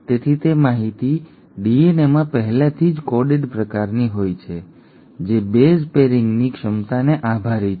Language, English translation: Gujarati, So that information is kind of coded already in the DNA, thanks to the ability of base pairing